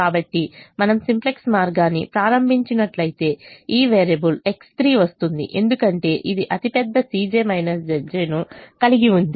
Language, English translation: Telugu, so if we started the simplex way, then this variable x three will come in because this has the largest c j minus z j